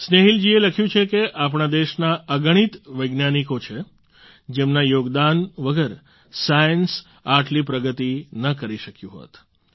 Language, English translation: Gujarati, Snehil ji has written that there are many scientists from our country without whose contribution science would not have progressed as much